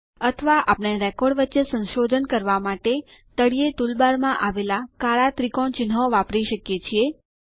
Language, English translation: Gujarati, Or we can also use the black triangle icons in the bottom toolbar to navigate among the records